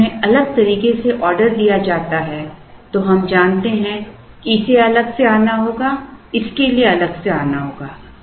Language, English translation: Hindi, If they are ordered differently, we know that this has to come separately, this has to come separately